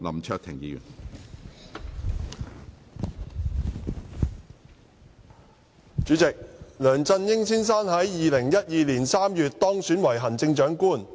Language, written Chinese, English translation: Cantonese, 主席，梁振英先生於2012年3月當選為行政長官。, President Mr LEUNG Chun - ying was elected Chief Executive CE in March 2012